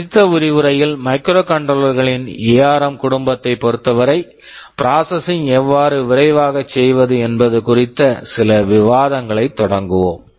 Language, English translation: Tamil, In the next lecture we shall be starting some discussion on how we can make processing faster with particular regard to the ARM family of microcontrollers